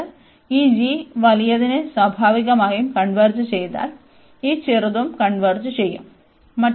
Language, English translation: Malayalam, And then, we notice that if this g converges the bigger one the natural, this is smaller one will also converge